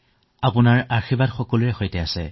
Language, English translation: Assamese, Your blessings are with everyone